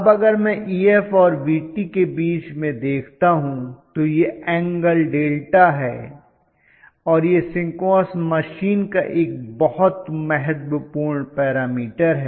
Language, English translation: Hindi, So now if I now look at it between Ef and Vt that is the angle of delta, I call this as delta this is the very very significant parameter in the case of a synchronous machine